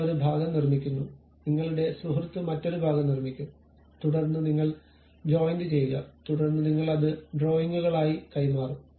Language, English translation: Malayalam, You construct one part, your friend will construct some other part, then you will assemble the joint, then you will pass it as drawings